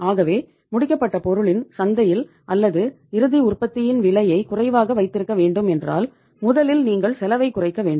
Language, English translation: Tamil, So if the price has to be kept low in the market of the finished product or the final product you have to first reduce the cost